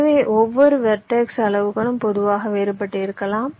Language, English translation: Tamil, so the sizes of each of the vertices can be different in general